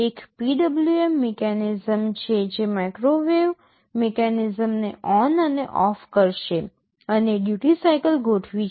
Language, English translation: Gujarati, There is a PWM mechanism which will be switching the microwave mechanism ON and OFF, and the duty cycle is adjusted